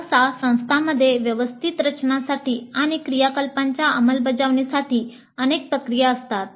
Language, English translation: Marathi, And usually the institutes have several processes for smooth organization and implementation of project activity